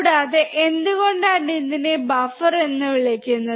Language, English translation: Malayalam, Also, why it is called buffer